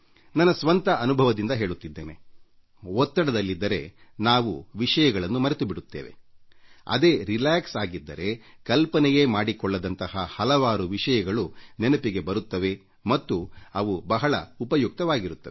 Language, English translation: Kannada, And it is by my own personal experience that I'm telling you that if you're under pressure then you forget even your own things but if you are relaxed, then you can't even imagine the kind of things you are able to remember, and these become extremely useful